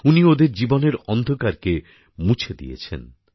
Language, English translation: Bengali, He has banished the darkness from their lives